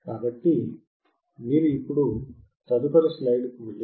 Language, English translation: Telugu, So, if you go to the next slide now